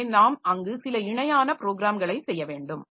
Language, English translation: Tamil, So, we have to do some parallel programming there